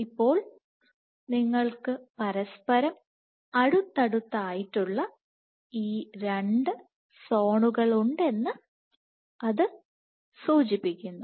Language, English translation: Malayalam, So, this suggests that you have these two zones which are right next to each other, but probably they are physically distinct zones